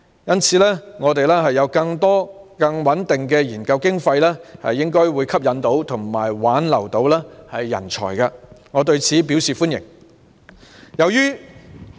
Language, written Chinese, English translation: Cantonese, 因此，教育界將有更多和更穩定的研究經費，應可吸引及挽留人才，我對此表示歡迎。, Therefore the education sector will have an increasing number of more stable research funds thus enabling us to attract and retain talents . I welcome this proposal